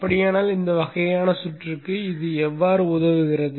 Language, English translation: Tamil, So how does it help in this kind of a circuit